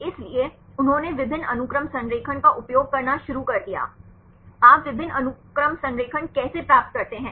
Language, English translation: Hindi, So, they started to use the multiple sequence alignment; how do you get the multiple sequence alignment